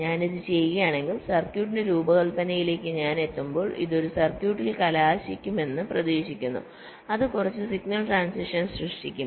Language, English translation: Malayalam, if i do this, it is expected that when i finally come to the designing of the circuit, it will result in a circuit which will be creating less number of signal transitions